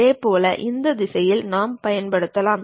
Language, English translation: Tamil, Similarly, we can use in this direction also